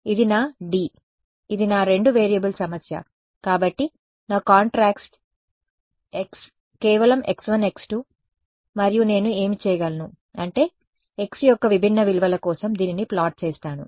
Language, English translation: Telugu, This is my 2 D this is my two variable problem so, my contrast x is simply x 1 x 2 and what I can do is I can plot this for different values of x